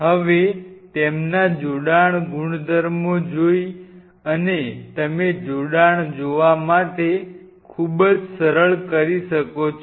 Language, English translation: Gujarati, Now seeing their attachment properties and you can do very simple things to see the attachment